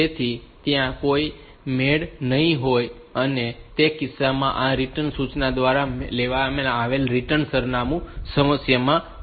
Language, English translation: Gujarati, So, there will be a mismatch and in that case the return address picked up by this return instruction will be in problem